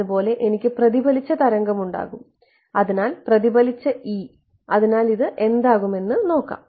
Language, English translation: Malayalam, Similarly, I will have the reflected wave ok, so E reflected ok, so this is going to be